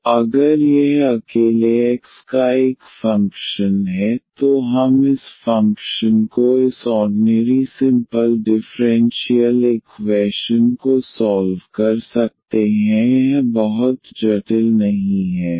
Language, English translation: Hindi, So, if this is a function of x alone, then we can solve this ordinary simple differential equation if this function is not very complicated here